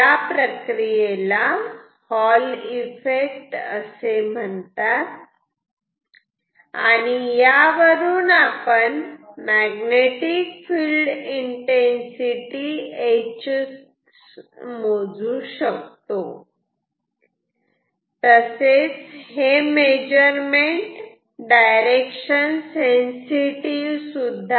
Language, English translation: Marathi, So, this is an phenomenon called Hall Effect with which we can measure magnetic field intensity and then, this measurement is directional sensitive ok